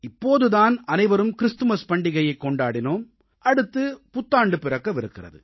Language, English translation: Tamil, All of us have just celebrated Christmas and the New Year is on its way